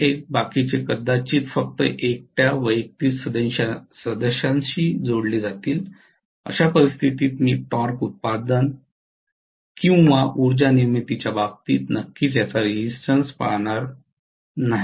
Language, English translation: Marathi, 1 probably will linked only with individual member alone, in which case I am definitely not going to see the repercussion of this in terms of torque production or power production